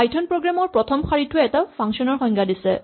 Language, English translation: Assamese, The first thing in the python program is a line which defines the function